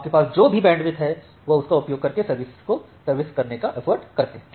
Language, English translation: Hindi, So, whatever bandwidth you have you try to serve using that